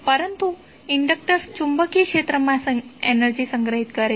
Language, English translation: Gujarati, But the inductor store energy in the magnetic field